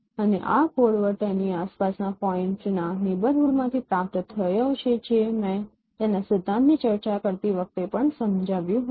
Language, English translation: Gujarati, And this code word is obtained from a neighborhood of the point around it that I explained also while discussing its principle